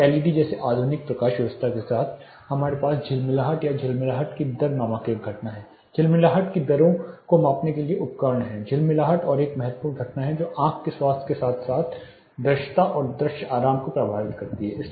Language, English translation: Hindi, Then with modern lighting like LEDs we have a phenomenon called flicker the rate of you know flickering there are devices to measure flicker rates flickering is another important phenomena which effects the health of the eye as well as the visibility and visual comfort